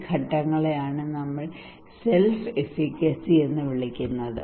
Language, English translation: Malayalam, What we call these phase, this one we call as self efficacy